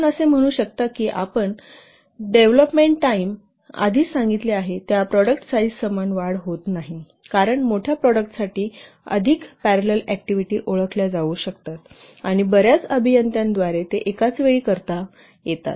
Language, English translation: Marathi, And you can say that I'll just say that development time it does not increase linearly with the product size that I have only told you because for larger products, more parallel activities can be identified and they can be carried out simultaneously by a number of engineers